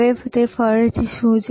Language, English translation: Gujarati, Now, what is that again